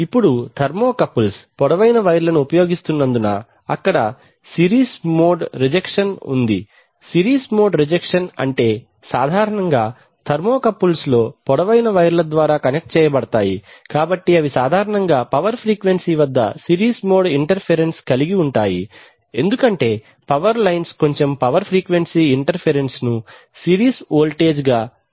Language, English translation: Telugu, Now since thermocouples use long wires so there is a series mode rejection since mode rejection means that typically with thermocouples are drawn from long wires, so they typically tend to catch series mode interference especially at the power frequency, so because there may be power lines and they will, they will add power frequency interference as a series voltage